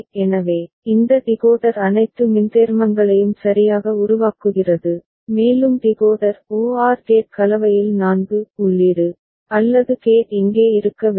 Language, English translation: Tamil, So, this decoder is generating all the minterms right and we need to have a 4 input OR gate over here in the Decoder OR gate combination